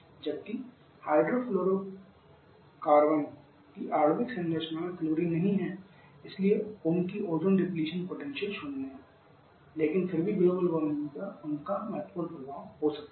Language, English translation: Hindi, Whereas hydrofluorocarbon does not have included in the molecular structure so there ozone depletion potential is zero, but they still can have significant amount of effect on the global warming